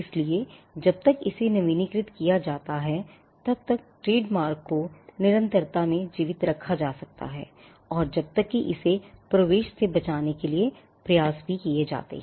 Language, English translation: Hindi, So, a trademark can be kept alive in perpetuity as long as it is renewed, and as long as efforts to protect it from entrainment are also done